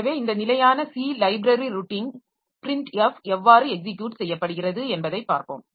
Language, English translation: Tamil, So, let us see how this standard C library routine printf is executed